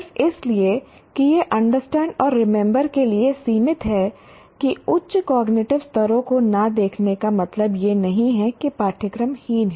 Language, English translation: Hindi, Just because it is limited to understand and remember not looking at higher cognitive levels, it doesn't mean that the course is inferior